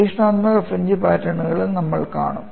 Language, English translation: Malayalam, We would see another fringe pattern